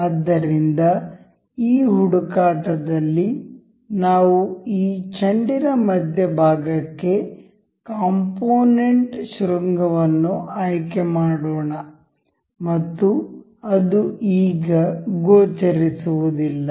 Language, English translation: Kannada, So, this search let us just select the component vertex to the center of this ball and the path as it is not visible as of now